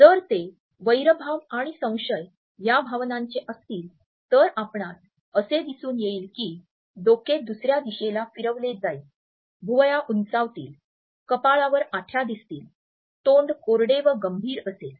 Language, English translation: Marathi, If it is the emotion of hostility and suspicion which is being passed on, you would find that the head would turn away, the eyebrows would furrow, lines would appear on the forehead, mouth will drupe and go critical